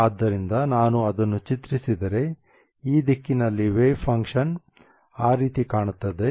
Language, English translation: Kannada, In this direction the wave function looks like that